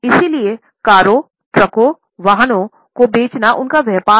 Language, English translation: Hindi, So, selling cars, trucks, vehicles is their business